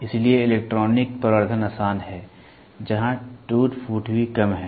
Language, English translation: Hindi, So, electronic amplification is easy where, wear and tear is also less